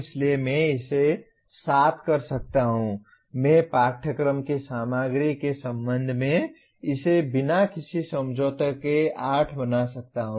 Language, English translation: Hindi, So I can make it 7, I can make it 8 without any compromise with respect to the content of the course